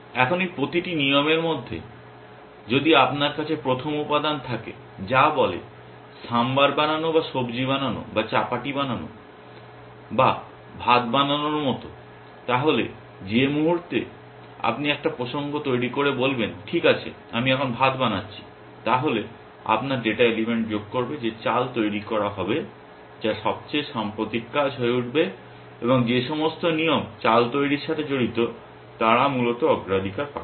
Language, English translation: Bengali, Now, if you in each of this rules, if you have the first element which says something like making sambar or making subjee or making chapati or making rice, then the moment you create a context for saying, okay now I am making rice then you will add that data element saying making rice that will become the most recent and all the rules which are concern with making rice they will get priority essentially